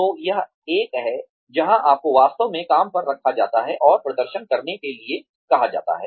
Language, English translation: Hindi, So that is one, where you are actually put on the job, and asked to perform